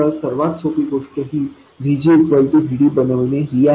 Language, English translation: Marathi, So, the easiest thing to do is to make VG equals VD